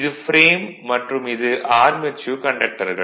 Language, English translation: Tamil, And this is your frame and this is your armature conductors right